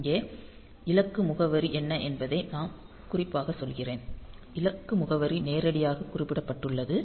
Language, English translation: Tamil, So, here what is happening is I am telling specifically that what is the destination address; destination address is specified directly